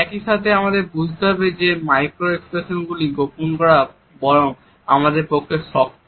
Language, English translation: Bengali, At the same time we have to understand that it is rather tough for us to conceal the micro expressions